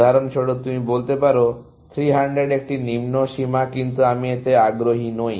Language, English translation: Bengali, You can even say 300 is a lower bound, for example, but I am not interested in that